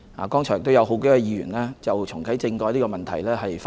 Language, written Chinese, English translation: Cantonese, 剛才也有數位議員就重啟政改發言。, Just now a number of Members have also spoken on reactivating constitutional reform